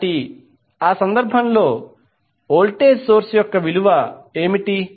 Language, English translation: Telugu, So what will be the value of voltage source in that case